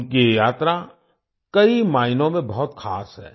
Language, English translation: Hindi, This journey of theirs is very special in many ways